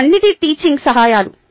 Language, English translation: Telugu, they are all teaching aids